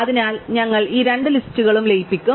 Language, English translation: Malayalam, So, we will merge these two lists